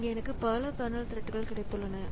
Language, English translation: Tamil, So, here I have got multiple kernel threads